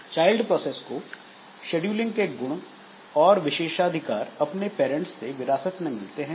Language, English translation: Hindi, Child process inherits privileges and scheduling attributes from the parent